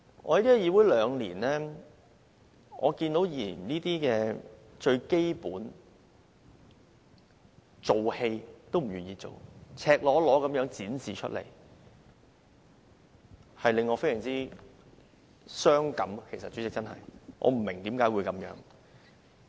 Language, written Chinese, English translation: Cantonese, 我在議會兩年，看見議員連最基本的一場戲也不願意演，這是赤裸裸地展示出來的，令我真的非常傷感，代理主席，我不明白為何會這樣。, I have been in the legislature for two years . When I see that Members are unwilling to play their primary role in this show which is laid bare in front of us now I feel extremely saddened . Deputy Chairman I really do not understand why we have come to this pass